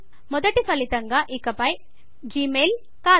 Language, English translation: Telugu, The top result is no longer gmail